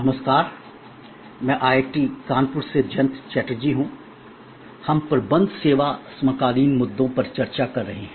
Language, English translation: Hindi, Hello, I am Jayanta Chatterjee from IIT, Kanpur; when we are discussing Managing Services Contemporary Issues